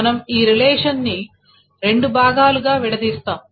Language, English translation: Telugu, So we will break this relation into two parts